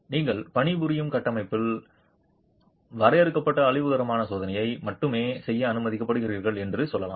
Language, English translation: Tamil, Let's say you are allowed to do only limited destructive testing in the structure that you are working on